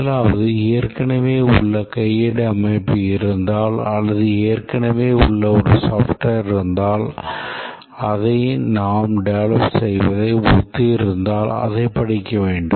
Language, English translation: Tamil, The first is that if there is a existing manual system or there is a existing software which is something similar to the one that we are developing, we need to study that